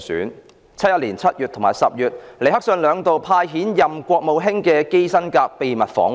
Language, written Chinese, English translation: Cantonese, 1971年7月及10月，尼克遜兩度派遣國務卿基辛格秘密訪華。, In July and October 1971 Richard NIXON sent Henry KISSINGER Secretary of State to pay two secret visits to China